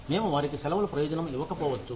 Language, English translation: Telugu, We may not give them a vacation, a benefit